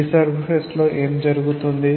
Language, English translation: Telugu, What will happen to the free surface